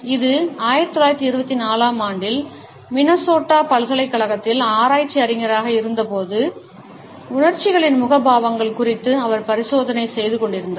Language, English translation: Tamil, It was in 1924, when he was a research scholar in the University of Minnesota and he was experimenting on the facial expressions of emotions